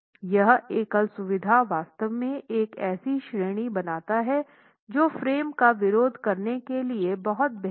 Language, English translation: Hindi, This single feature actually makes it a category that is far superior to moment resisting frames